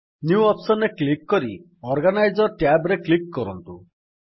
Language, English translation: Odia, Click on the New option and then click on the Organiser tab